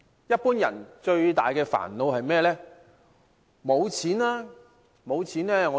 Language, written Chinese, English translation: Cantonese, 一般人最大的煩惱是甚麼呢？, What is the biggest headache to ordinary people?